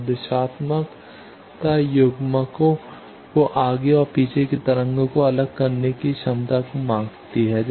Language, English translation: Hindi, Now, directivity measures couplers ability to separate forward and backward waves